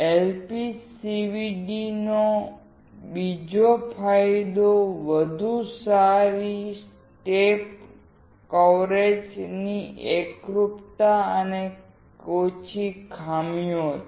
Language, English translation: Gujarati, Another advantage of LPCVD is better step coverage film uniformity and fewer defects